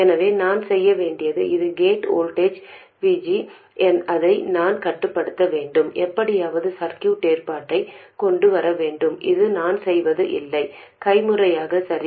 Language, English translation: Tamil, So, what I have to do is this is the gate voltage VG, and I have to control control that and somehow come up with a circuit arrangement